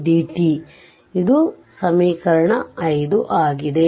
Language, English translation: Kannada, So, this is equation 5